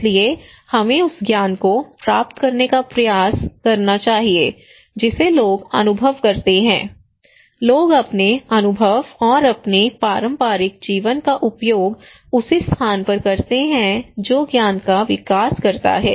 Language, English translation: Hindi, So we should try to grab that knowledge people experience, people use their experience and their traditional living with the same place that develop a knowledge and that that can even